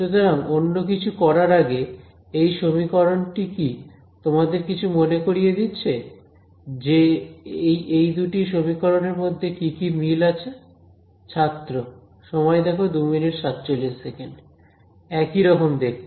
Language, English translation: Bengali, So, before we get into anything does this equation remind what are the similarities between these two equations are any similarities